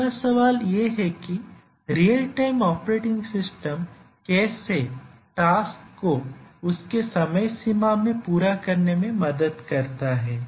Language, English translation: Hindi, Actually the real time operating systems the primary purpose is to help the tasks meet their deadlines